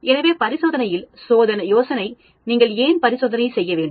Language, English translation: Tamil, So the idea of experiment, why do you need to do experiment